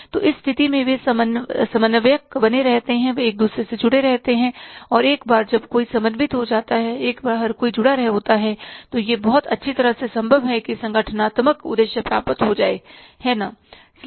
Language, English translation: Hindi, So, in that case they remain coordinated, they remain connected to each other and once everybody is coordinated, once everybody is connected then it is very well, it is possible very nicely that organizational objectives will be achieved